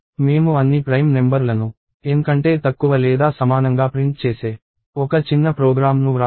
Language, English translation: Telugu, So, we wrote a small program which printed all the prime numbers less than or equal to N